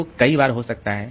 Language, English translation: Hindi, So, both the times may be there